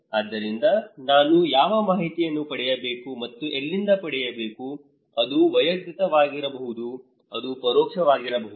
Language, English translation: Kannada, so, which informations I should get and from where so, either it is personal, it could be indirect